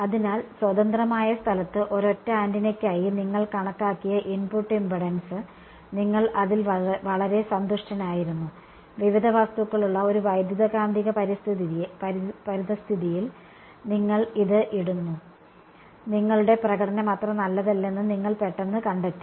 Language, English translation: Malayalam, So, the input impedance that you have calculated for a single antenna in free space you were very happy about it, you put it into an electromagnetic environment where there are various objects and suddenly you find that your you know your performance is not so good right